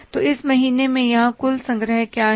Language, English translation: Hindi, So what are the total collections here in this month